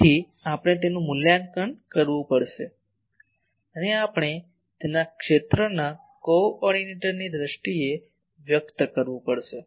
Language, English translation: Gujarati, So, we will have to evaluate that and we will have to express it in terms of field coordinates